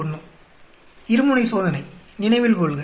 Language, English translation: Tamil, 571 two tailed test remember that